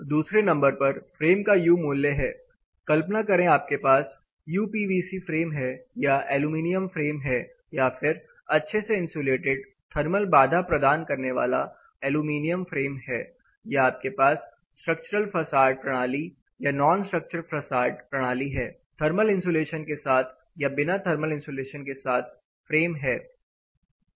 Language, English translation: Hindi, (Refer Slide Time: 19:26) Number 2, the need for U value of the frame itself, imagine you have a UPVC frame versus an aluminum frame versus a highly insulated thermal barrier aluminum frame or different type of structural facade system versus non structural facade system with thermal insulation without thermal insulation